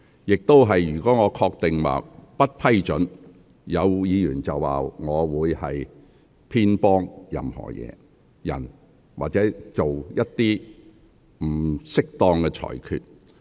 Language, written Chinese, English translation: Cantonese, 若我只憑個人判斷不予批准，或有議員會指我偏幫某人或作出不適當的裁決。, If I rely solely on my personal judgment to deny permission some Members may accuse me of favouring someone or making an inappropriate ruling